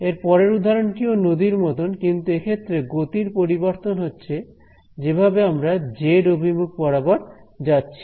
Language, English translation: Bengali, The next example that I have is like the river, but it is catching speed as it goes along the z direction